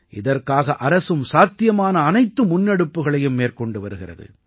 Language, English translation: Tamil, For this, the Government is taking all possible steps